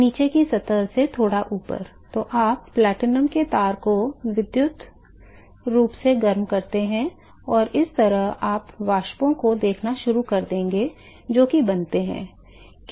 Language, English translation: Hindi, The slightly above the bottom surface, then you provide; electrically heat the platinum wire and so, you will start seeing vapors which is formed